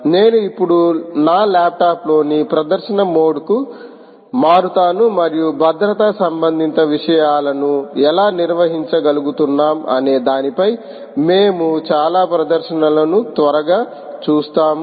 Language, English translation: Telugu, i will now shift to the demonstration mode on ah, my laptop, and we will see quickly several demonstrations on how we are able to handle set security related things